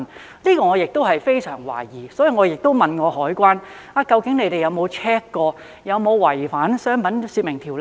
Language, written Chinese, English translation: Cantonese, 這一點我亦非常懷疑，所以亦問過海關究竟有否 check 過這有否違反《商品說明條例》？, I have serious doubts about this so I have asked the Customs and Excise Department whether they have checked if that is in breach of the Trade Descriptions Ordinance